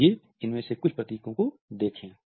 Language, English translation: Hindi, Let’s look at some of these symbols